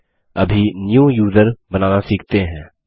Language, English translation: Hindi, Lets now learn how to create a New User